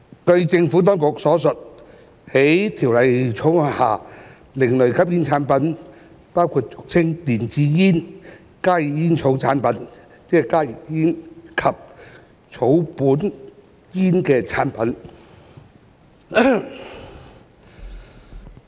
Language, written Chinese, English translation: Cantonese, 據政府當局所述，在《條例草案》下，另類吸煙產品包括俗稱電子煙、加熱煙草產品及草本煙的產品。, According to the Administration ASPs under the Bill include products commonly known as e - cigarettes heated tobacco products HTPs and herbal cigarettes